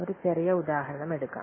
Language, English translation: Malayalam, Let's take a small example